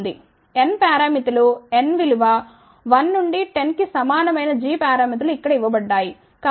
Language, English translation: Telugu, N parameters are given from N equal to 1 to 10 corresponding g parameters are given over here